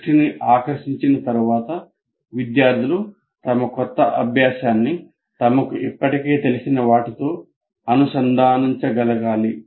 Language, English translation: Telugu, And the next thing is after getting the attention, the students need to be able to link their new learning to something they already know